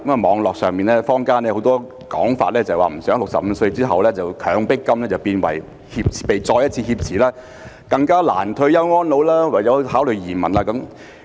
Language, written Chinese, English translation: Cantonese, 網絡上、坊間很多說法表示不希望在65歲後"強迫金"被再一次挾持，令市民更難退休安老，唯有考慮移民。, There are many views on the Internet and in the community that people do not want their coercive fund to be further held up after the age of 65 which will render it more difficult for them to retire peacefully leaving them no choice but to consider emigration